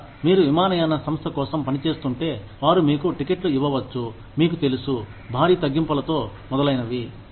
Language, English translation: Telugu, Or, maybe, if you are working for an airline, they could give you tickets, you know, at heavy discount, etcetera